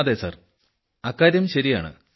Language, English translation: Malayalam, Yes sir, that is correct sir